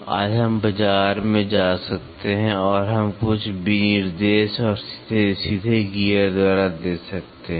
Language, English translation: Hindi, Today, we can go to the market and we can give certain specification and directly by gears